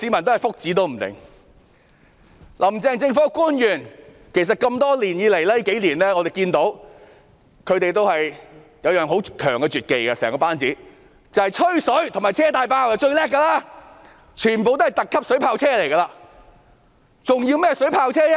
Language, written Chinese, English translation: Cantonese, 我們看到"林鄭"政府班子多年來都有一種很強的絕技——最厲害是"吹水"和"車大炮"，全部都是"特級水炮車"，還需要甚麼水炮車呢？, We notice over the years that the Carrie LAM administration has some extraordinary skills―it is most proficient in blowing water and talking cannons together they make super water cannon vehicles so why bother about procuring water cannon vehicles?